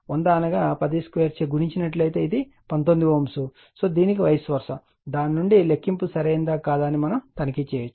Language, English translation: Telugu, And this one if you multiply by 10 square that is 100 you will get 19 ohm or vice versa, right from that you can check whether calculation is correct or not, right